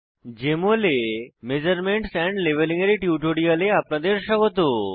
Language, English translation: Bengali, Welcome to this tutorial on Measurements and Labeling in Jmol Application